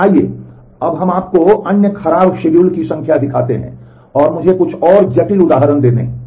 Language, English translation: Hindi, So, let us let me show you number of other bad schedules, and let me a little bit more complex examples